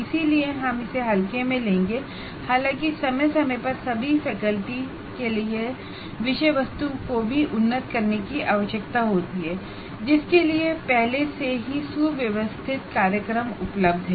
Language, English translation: Hindi, Though from time to time, even these subject matter needs to be upgraded for all the faculty, for which already well organized programs are available